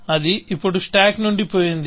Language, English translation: Telugu, So, that is gone now, from the stack